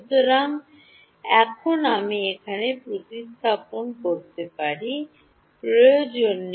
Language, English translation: Bengali, So, now, over here I can replace, need not replace it